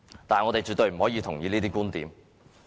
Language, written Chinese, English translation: Cantonese, 但是，我們絕對不認同這些觀點。, However we absolutely do not subscribe to these viewpoints